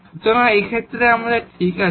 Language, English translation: Bengali, So, in that case it is fine